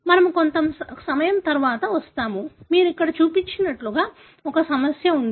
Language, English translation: Telugu, We will come to that little later; like as you see here there was a trouble